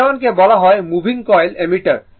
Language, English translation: Bengali, A 1 is called moving coil ammeter